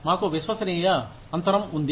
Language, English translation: Telugu, We have a trust gap